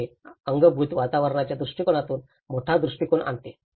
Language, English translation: Marathi, So, this brings a larger perspective of the built environment perspective